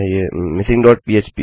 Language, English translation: Hindi, missing dot php